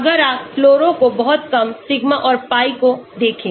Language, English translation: Hindi, If you look at fluoro very, very low sigma and pi